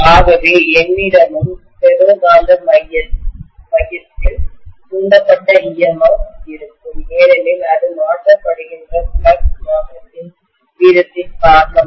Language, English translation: Tamil, So I will have an induced EMF in the ferromagnetic core as well because of the rate of change of flux it is being subjected to